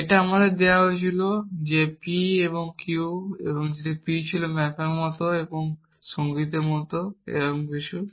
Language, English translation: Bengali, It was given to us to that p and q were p was something like allies like maps and like music or something like that